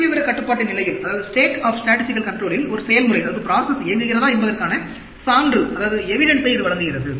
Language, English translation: Tamil, It gives you an evidence of whether a process has been operating in a state of statistical control